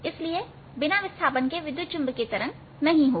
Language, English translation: Hindi, so without displacement, no electromagnetic waves